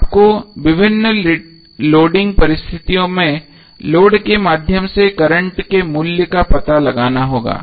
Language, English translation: Hindi, So you need to find out the value of current through the load under various loading conditions